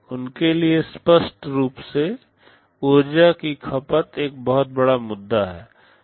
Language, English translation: Hindi, For them obviously, energy consumption is a big issue